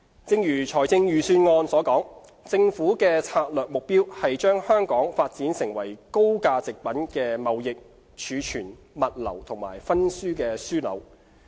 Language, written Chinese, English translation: Cantonese, 正如財政預算案所述，政府的策略目標是把香港發展為高價值貨品的貿易、儲存、物流及分銷樞紐。, As set out in the Budget it is the Governments strategic objective to develop Hong Kong into a trading storage logistics and distribution hub for high - value goods